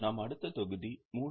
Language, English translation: Tamil, Let us start our next module 3